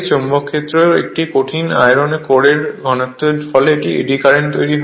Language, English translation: Bengali, The rotation of a solid iron core in the magnetic field results in eddy current right